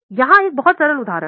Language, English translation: Hindi, Let us take one very simple example